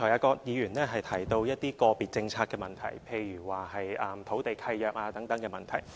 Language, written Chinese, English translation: Cantonese, 葛議員剛才提到一些個別政策的問題，例如土地契約等問題。, Dr QUAT has just mentioned some problems concerning specific policies such as the issue of land leases